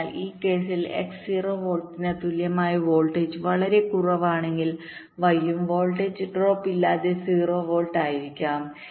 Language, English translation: Malayalam, so for this case, if x equal to zero volts very low voltage, then y will also be zero volts without any voltage drop